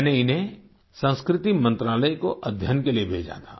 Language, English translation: Hindi, I had sent them to the Culture Ministry for analysis